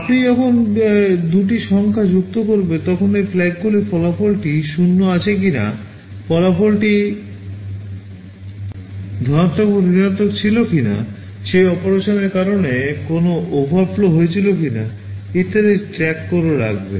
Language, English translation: Bengali, When you add two numbers these flags will keep track of the fact whether the result was 0, whether the result was positive or negative, whether there was an overflow that took place because of that operation, etc